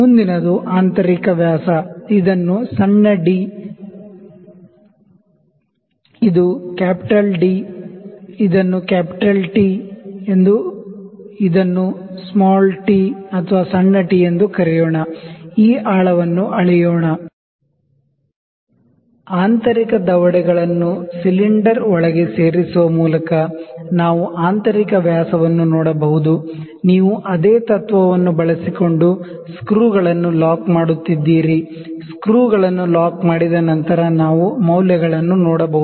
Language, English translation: Kannada, Next is the internal dia, this is small d, this is capital d, this is let me call it capital T, let me call it small t, let me call this depth, we can see the internal dia as well by inserting the internal jaws inside the cylinder, you are locking the screws using the same principle, after locking the screws we can see the reading